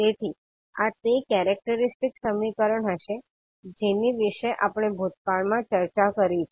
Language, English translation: Gujarati, So this would be the characteristic equation which we have already discussed in the past